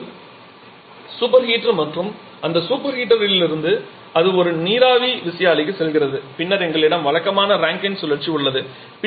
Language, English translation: Tamil, So, this is your super heater and from that super heater it is going to a steam turbine and then we have the conventional Rankine cycle